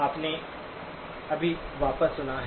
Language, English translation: Hindi, You just played back